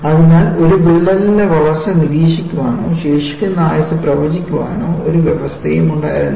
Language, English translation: Malayalam, So, there was no provision to monitor the growth of a crack or predict the remaining life